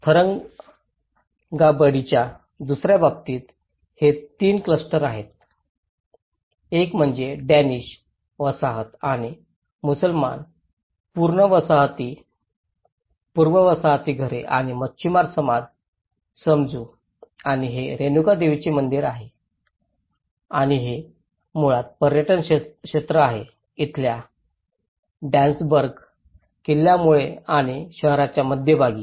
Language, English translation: Marathi, In the second case of Tharangambadi, it is the three clusters one is the Danish colony, and the Muslims, the pre colonial houses and the fishermen society, letÃs say and this is a Renuka Devi temple square and this is basically, the tourism circuit goes on to this because of the Dansburg fort here and the town centre